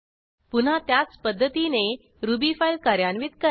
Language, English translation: Marathi, Next execute the Ruby file again, like before